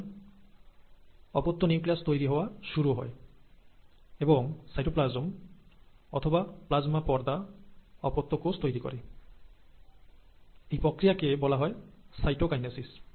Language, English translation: Bengali, So you start getting daughter nuclei formed, and then, the cytoplasm or the plasma membrane pinches and separates the two daughter cells, which is what you call as the cytokinesis